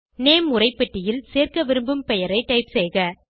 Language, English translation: Tamil, In the Name text box, type the name that you wish to add